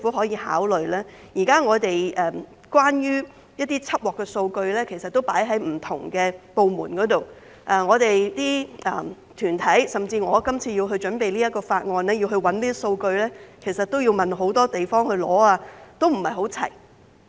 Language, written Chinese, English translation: Cantonese, 現時關於緝獲的數據存放於不同的部門內，當團體、甚至我今次為準備這項法案而尋找這些數據時，便要向多處索取，並不是一應俱全。, At present data on seizures are held by different departments . When organizations look for data like what I did in the preparation of the current bill the data has to be obtained from various places rather than being readily available at one stop